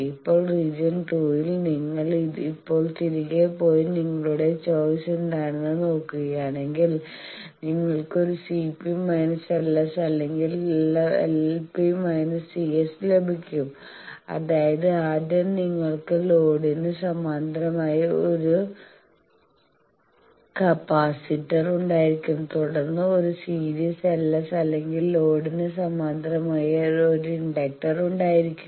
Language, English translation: Malayalam, Now in region 2, if you now go back and see that what are your choices you can have a C p L s or L p C s; that means, firstly you can have a first capacitor in parallel with the load then a series L s or a inductor parallel with the load and then is a